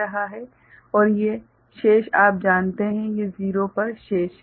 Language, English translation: Hindi, And these are remaining at you know, these are remaining at 0